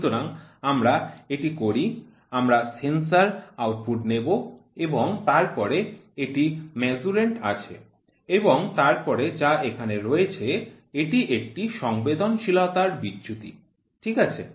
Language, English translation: Bengali, So, let us so, we will take sensor output and then here it is Measurand, and then what is here this is a sensitivity drift, ok